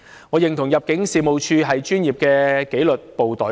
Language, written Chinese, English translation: Cantonese, 我認同入境處是專業的紀律部隊。, I agree that ImmD is a professional disciplined force